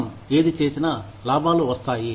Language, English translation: Telugu, Whatever we do, will bring profits